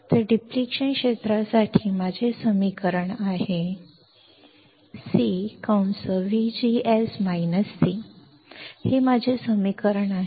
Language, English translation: Marathi, So, my equation for the depletion region is C V G S minus C